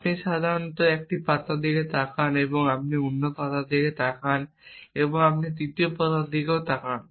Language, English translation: Bengali, You generalize essentially you look at one leaf you look at another leaf you look at the third leaf